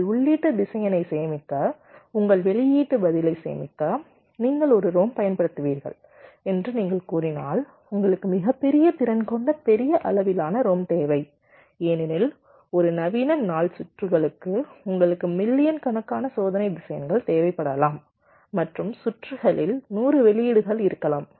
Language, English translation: Tamil, if you are saying that you will be using a rom to store your input vector, to store your output response, you need ah rom of a very large capacity, large size, because for a modern this circuits circuits let say you made a requiring millions of test vectors and and in the circuit there can be hundreds of outputs